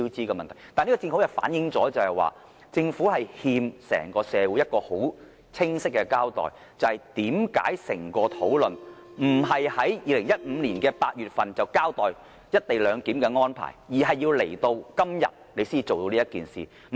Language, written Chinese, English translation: Cantonese, 但是，這正好反映政府欠整個社會一個清晰交代，即為甚麼整個討論並非在2015年8月便交代"一地兩檢"安排，而是直至今天才提出這個方案？, But in another sense this can aptly show that the Government owes society at large a clear answer to the one question we have in mind why is the co - location arrangement announced only today not in August 2015?